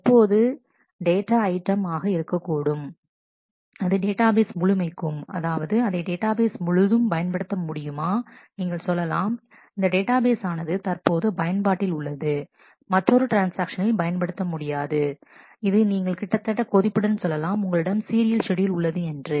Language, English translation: Tamil, Now what should be the data item, should it be the whole database, it can be the whole database we say this database is in use other transaction cannot use it, which boils down to saying almost that you have a serial schedule